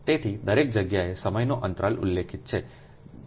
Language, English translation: Gujarati, so everywhere has ah, time interval is specified, right, so it is